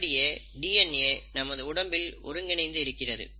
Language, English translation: Tamil, So, that is what, that is how the DNA in our body is organized